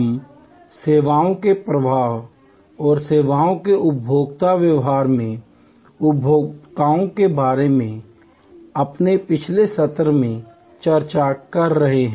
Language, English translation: Hindi, We are discussing since our last session about consumers in a services flow and the services consumer behavior